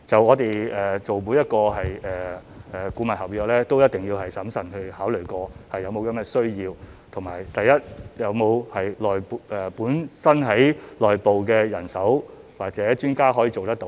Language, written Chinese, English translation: Cantonese, 我們做每一份顧問合約，都一定會審慎考慮是否確有需要，以及第一，本身的內部人手或專家是否可以做得到？, We would carefully examine the need for each consultant contract . First of all can internal manpower or experts handle the job?